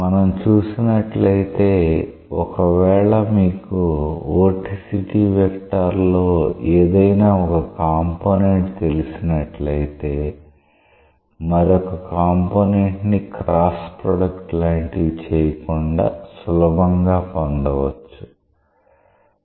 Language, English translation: Telugu, If you see it is if you know one of the components of the vorticity vector; it is possible to generate the other one intuitively without going into all the cross products